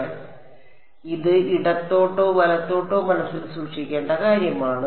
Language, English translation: Malayalam, So, this is something to keep in mind left or right ok